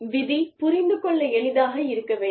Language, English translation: Tamil, The rule should be, easy to understand